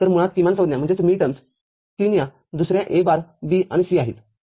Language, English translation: Marathi, So, basically minterms 3 is your A bar B and C